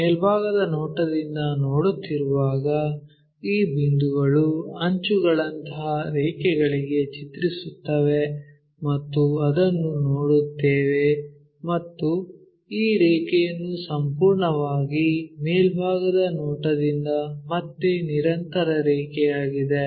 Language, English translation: Kannada, When we are looking from top view these points maps to lines like edges and we will see that and this line entirely from the top view again a continuous line